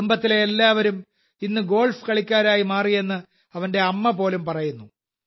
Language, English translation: Malayalam, His mother even says that everyone in the family has now become a golfer